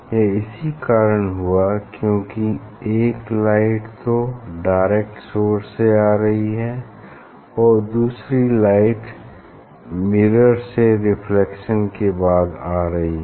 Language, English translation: Hindi, It happens because one light is coming directly another light is reflected is reflected from the mirror as if it is the